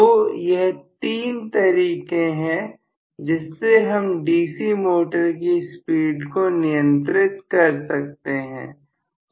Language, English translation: Hindi, So these are the 3 ways of speed control in the DC motor